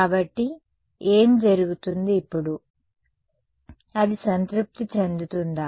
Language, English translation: Telugu, So, what happens now, is it going to be satisfied